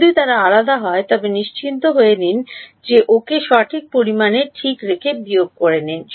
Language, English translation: Bengali, If they are different, make sure that you subtract them by the correct amount ok